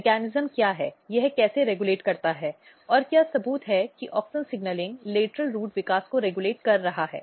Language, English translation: Hindi, So, what is the mechanism, how it regulates and what is the proof that auxin signalling is regulating lateral root development